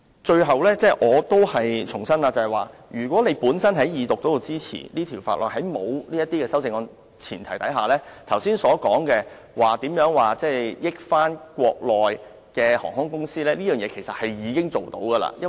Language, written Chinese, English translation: Cantonese, 最後，我重申若在《條例草案》二讀時予以支持，在沒有這些修正案的情況下，剛才所說對國內航空公司有利的安排，其實已經可以做到。, Lastly let me reiterate that once the Bill has been passed when it was read the Second time it has already become possible for Mainland airlines to take advantage and make the arrangements mentioned just now even without the proposed CSAs